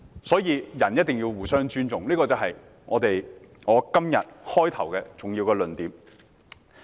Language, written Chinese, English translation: Cantonese, 所以，人一定要互相尊重，這是我今天發言開首的一個重要的論點。, Therefore people must respect each other . This is a major point that I wish to make in the beginning of my speech today